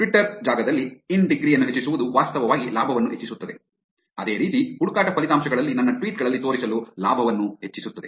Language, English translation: Kannada, In the Twitter space, increasing the in degree actually increases the gain; similarly, to show on my tweets on the search results